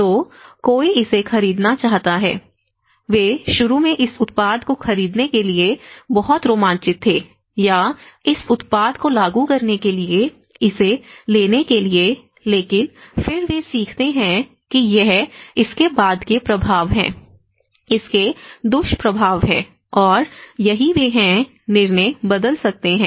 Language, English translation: Hindi, So, someone wants to buy this, they were initially very fascinated to buy this product or to take this to implement this product but then they learn that this is the after effects of it, there is a side effects of it and that is what they might change the decisions